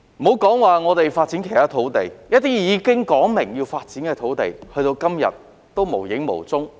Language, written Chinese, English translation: Cantonese, 莫說發展其他土地，一些已指明要發展的土地，直至今天仍然無影無蹤。, Leaving aside the development of other land some land lots which have been designated for development still remain idle even to this day